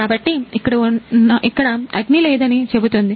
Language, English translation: Telugu, So, this say that there is no fire